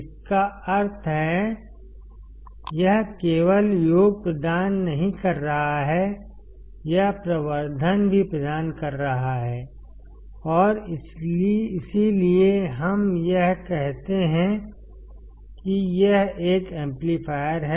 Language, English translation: Hindi, That means, it is not only providing the summation; it is also providing the amplification, and that is why; what we do say is this is a summing amplifier